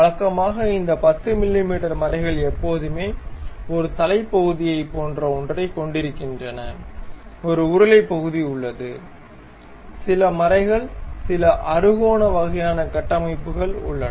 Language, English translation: Tamil, So, usually these 10 mm threads always be having something like a head portion, there is a stud portion, there are some threads some hexagonal kind of structures we will be having